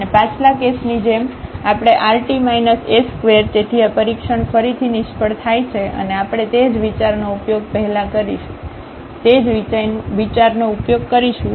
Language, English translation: Gujarati, And similar to the previous case we have rt minus s square, so this test fails again and we will use the same idea a similar idea what we have done before